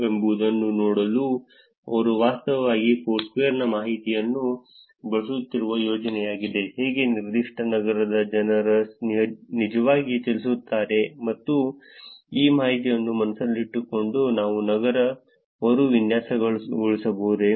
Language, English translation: Kannada, This is a project where they are actually using Foursquare information to see how people actually move in a given city and can we actually re design a city keeping this information in mind